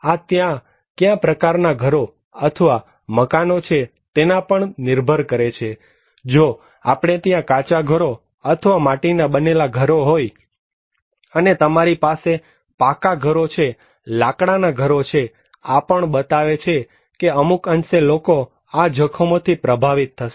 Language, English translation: Gujarati, This also depends on what kind of houses or buildings are there like, if we have Kutcha houses and mud houses and you have concrete houses, it also wood houses, these also define that one extent, people will be impacted with these hazards